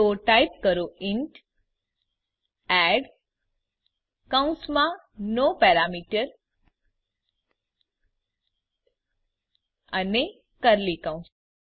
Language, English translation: Gujarati, So type int add parentheses no parameter and curly brackets